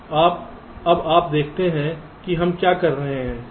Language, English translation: Hindi, so now you see what are doing